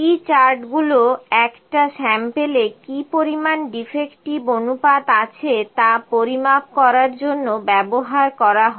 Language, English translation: Bengali, P charts are used to measure the proportion that is defective in a sample